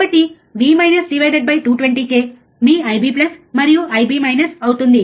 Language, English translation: Telugu, So, V minus, right divide by 220 k, there will be your I B plus and I B minus